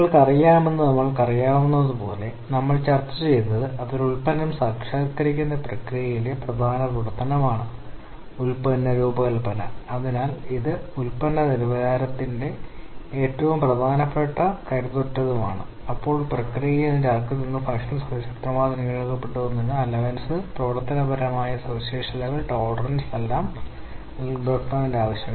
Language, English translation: Malayalam, And as we know that you know so far what we have discussed is that the product design is kind of prime activity in the process of realizing a product and therefore, it has a great impact on product quality in fact it has greatest impact you know the design is such that it is a quite robust then it can be able to allow a very less non conformance at the process and the product level